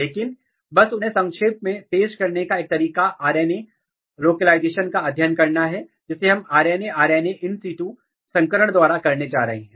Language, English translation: Hindi, But to just briefly introduce them, one way of doing is that to study RNA localization, which we are going to do by RNA RNA in situ hybridization